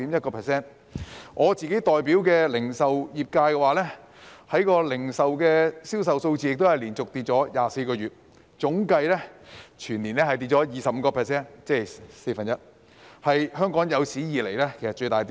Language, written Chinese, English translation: Cantonese, 以我代表的零售業界為例，銷售數字亦24個月連續下跌，總計全年跌幅達到 25%， 是香港有史以來的最大跌幅。, Taking the retail sector for which I represent as an example sales figures have been falling for 24 months in a row with an aggregate annual drop reaching 25 % ie . one fourth the greatest drop in the history of Hong Kong